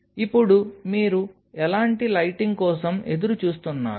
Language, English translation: Telugu, Now comes what kind of lighting your looking forward to